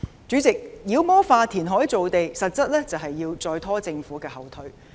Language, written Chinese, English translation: Cantonese, 主席，妖魔化填海造地實質是要再拖政府後腿。, President demonizing land reclamation actually means pulling the leg of the Government again